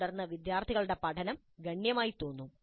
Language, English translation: Malayalam, And then the learning of the students seems to be fairly substantial